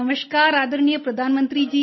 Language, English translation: Hindi, Namaskar, Respected Prime Minister